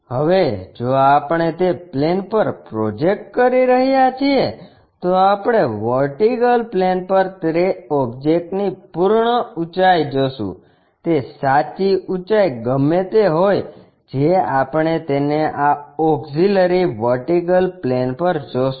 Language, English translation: Gujarati, Now, if we are projecting onto that plane what we are going to see is the complete height of that object on the vertical plane, whatever that true height that we will see it on this auxiliary vertical plane